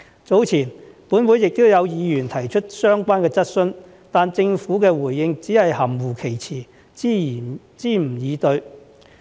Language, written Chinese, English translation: Cantonese, 早前，本會亦有議員提出相關質詢，但政府的回應只是含混其詞，支吾以對。, Members also put related questions in this Council earlier but the Government only made ambiguous replies